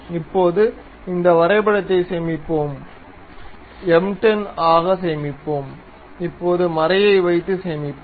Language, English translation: Tamil, Now, let us save this drawing, save as M 10, now let us have nut and save